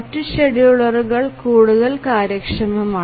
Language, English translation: Malayalam, The other schedulers are much more efficient